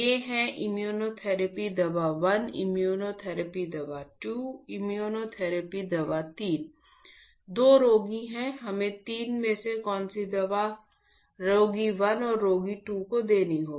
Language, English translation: Hindi, These are immunotherapy drug 1, immunotherapy drug 2, immunotherapy drug 3 for a given there are patient 1 patient 2, ok there are two patients